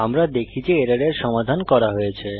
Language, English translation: Bengali, We see that the error is resolved